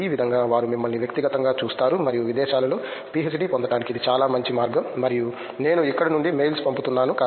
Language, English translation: Telugu, In this way they see you in person and it’s a very good way to get a PhD abroad and as I am sending mails across from here